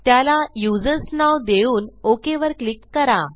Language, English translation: Marathi, Lets name it users and click on OK